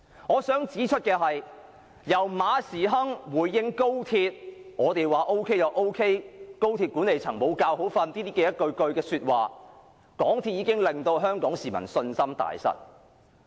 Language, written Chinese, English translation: Cantonese, 我想指出，由馬時亨回應高鐵問題時說"我們說 OK 便 OK" 及"高鐵管理層無覺好瞓"等說話，已令香港市民對港鐵公司信心大失。, I would like to point out when Frederick MA made the following responses about the Express Rail Link if we say it is OK then it is OK and the management of XRL cant sleep well Hong Kong people has lost confidence in MTRCL